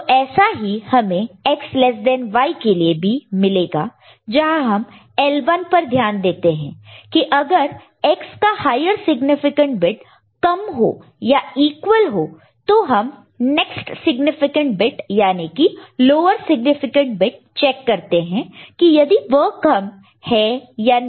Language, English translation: Hindi, So, similar thing you will get for X less than Y, where we look at L 1 if X the higher significant weight is lower of course, it will be less and if they are equal then you look at the next significant bit, lower significant bit whether it is less